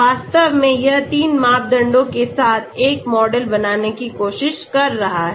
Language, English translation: Hindi, In fact, it is trying to create a model with 3 parameters